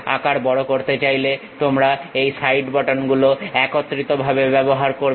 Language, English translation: Bengali, You want to increase the size use these side buttons together